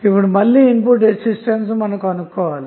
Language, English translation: Telugu, Now, again, we have to find the input resistance